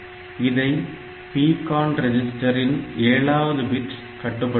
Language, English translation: Tamil, So, that is controlled by the PCON registers bit numbers 7